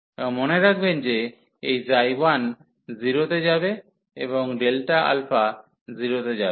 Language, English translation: Bengali, And note that this psi 1 will go to 0 and delta alpha goes to 0